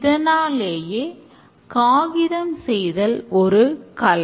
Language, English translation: Tamil, And they thought that paper making is an art